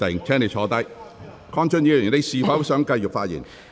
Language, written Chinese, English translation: Cantonese, 鄺俊宇議員，你是否想繼續發言？, Mr KWONG Chun - yu do you wish to continue with your speech?